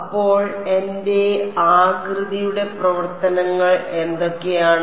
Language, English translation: Malayalam, So, what are my shape functions like